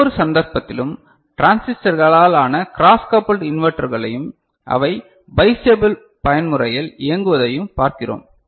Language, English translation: Tamil, And in each case we are looking at cross coupled inverters made up of transistors and their operating in bistable mode